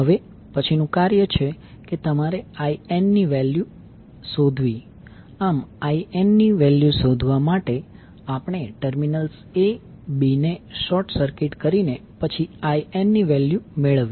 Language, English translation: Gujarati, Next task is you need to find out the value of IN, to find the value of IN we short circuit the terminals a b and then we solve for the value of IN